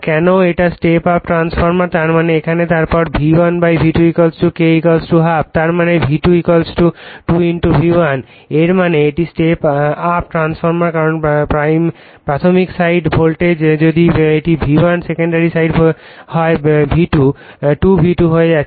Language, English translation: Bengali, Why it is step up transformer; that means, here then V1 / V2 = K = half right; that means, V2 = 2 * V1 right; that means, it is step up transformer because primary side voltage if it is V1 secondary side it is becoming 2 * V1